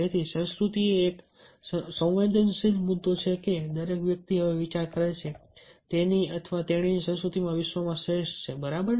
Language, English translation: Gujarati, culture is such a sensitive issue that everybody not think that his or her culture is the best in the world